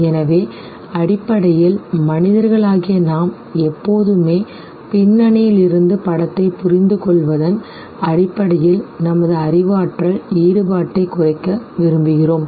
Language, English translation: Tamil, So, that basically means that as human beings we would always like to minimize our cognitive engagement in terms of deciphering the image from the background